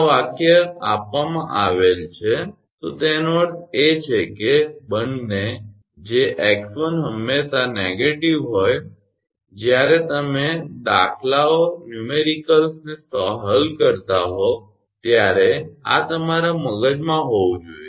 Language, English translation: Gujarati, If this sentence is given, that means, that both that x 1 is always negative this should be in your mind when you are solving numericals